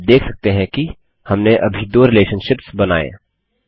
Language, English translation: Hindi, You can see that we just created two relationships